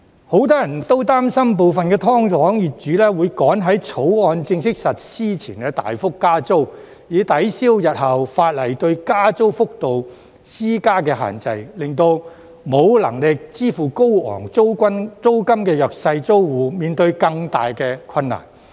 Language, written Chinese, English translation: Cantonese, 很多人都擔心部分"劏房"業主會趕在《條例草案》正式實施前大幅加租，以抵銷日後法例對加租幅度施加的限制，令沒有能力支付高昂租金的弱勢租戶面對更大困難。, Many people are worried that some landlords of SDUs will massively increase the rent in haste prior to the effective date of the new ordinance in an attempt to counteract the future restrictions on rent increase imposed by the legislation thereby causing greater difficulties to the vulnerable tenants who cannot afford to pay high rents